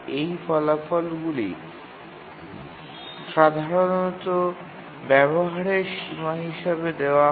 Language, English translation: Bengali, Those results are typically given as utilization bounds